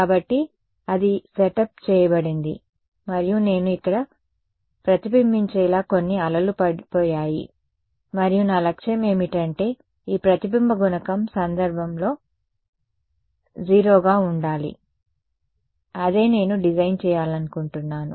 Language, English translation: Telugu, So, that is the set up and I have some wave falling like this getting reflected over here and my goal is that this reflection coefficient should be 0 in the worst case right that is what I want to design